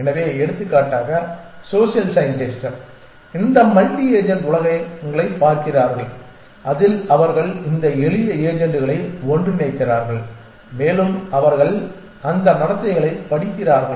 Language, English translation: Tamil, So, a lot of people for example, social scientist are looking at these multi agent worlds in which they put together this simple agents and they study the behavior of those